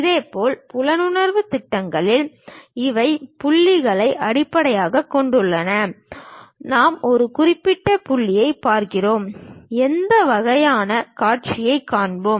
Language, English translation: Tamil, Similarly in the perceptive projections, these are based on point; we look through certain point and what kind of views we will see